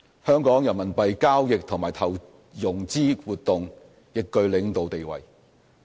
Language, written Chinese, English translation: Cantonese, 香港人民幣交易和投融資活動亦具領導地位。, Hong Kong has also taken a leading position in Renminbi RMB business and RMB investment and financing activities